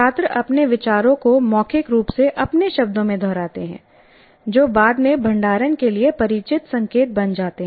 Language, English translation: Hindi, Students orally restate ideas in their own words, which then become familiar cues to later storage